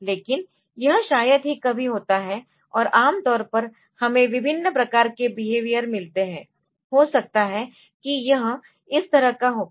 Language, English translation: Hindi, But this seldom happens and normally we get different types of behaviour, may be it will go like this, it will have a behaviour like this